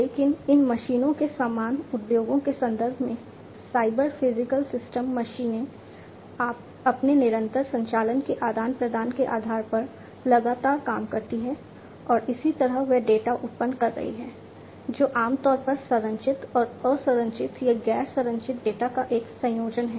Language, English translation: Hindi, But in the context of industries similarly these machines, cyber physical systems machines etcetera continuously do by virtue of their continuous operation interaction and so on they are generating data, which typically is a combination of structured and unstructured or non structured data